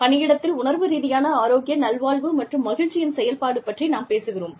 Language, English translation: Tamil, We are talking about, a function of emotional health well being and happiness, and in the workplace